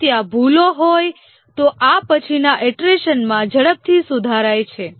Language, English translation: Gujarati, If there are bugs, these are fixed quickly in the next iteration